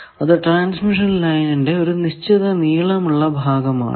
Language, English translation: Malayalam, It is some length of transmission line